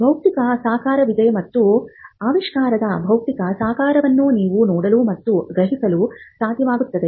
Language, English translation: Kannada, Now, there is a physical embodiment, and the physical embodiment is what you are able to see and perceive of an invention